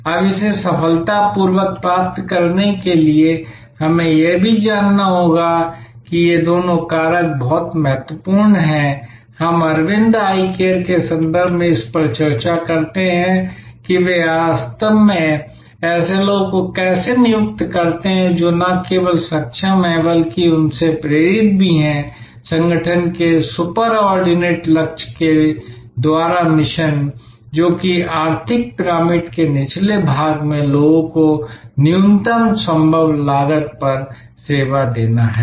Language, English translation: Hindi, Now, to achieve this successfully, we have to also know that these two factors are very important, we discuss this in the context of the Aravind Eye Care, that how they actually recruit people, who are not only competent, but also are inspired by the mission by the super ordinate goal of the organization, which is to serve people at the bottom of the economic pyramid at the lowest possible cost